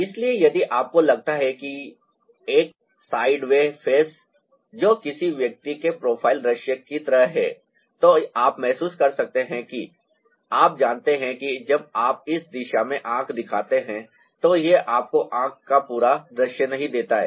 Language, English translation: Hindi, so if you feel that ah, sideway ah face, which is like a profile view of a person, you may feel that ah, you know, when you show a eye in this direction, it doesn't give you the full view of the eye